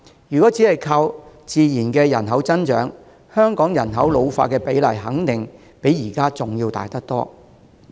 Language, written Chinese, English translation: Cantonese, 如果只靠人口的自然增長，香港人口老化的比例肯定較現在大得多。, If we rely on natural growth alone population ageing in Hong Kong would have been more serious for sure